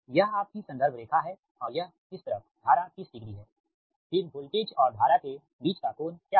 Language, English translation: Hindi, this is your reference line and this side current, that current is thirty degree